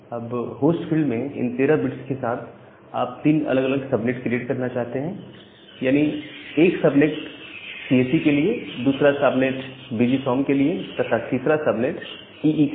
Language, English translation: Hindi, And with this 13 bit at the host field, you want to create three different subnet; one subnet is for CSE, the second subnet is for VGSOM, and the third subnet is for EE